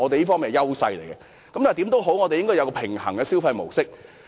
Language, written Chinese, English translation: Cantonese, 我們應該要有一個平衡的消費模式。, We ought to have a balanced mode of consumption